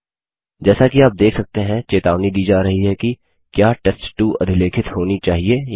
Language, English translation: Hindi, As you can see a warning is provided asking whether test2 should be overwritten or not